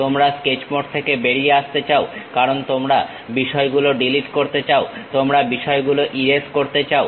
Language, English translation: Bengali, You want to come out of Sketch mode because you want to delete the things, you want to erase the things you cannot straight away do it on the sketch mode